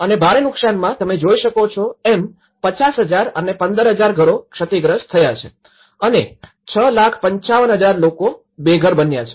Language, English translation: Gujarati, And a huge damage you can see that 50,000 houses were damaged and 15,000 and almost 655,000 became homeless so, this is the kind of data which we get